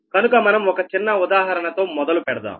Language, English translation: Telugu, so next will start with a small example